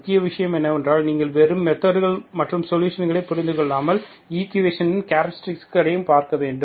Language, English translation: Tamil, Main thing is you have to understand the not just methods and solutions, and also look at the characteristics of these methods, of these equations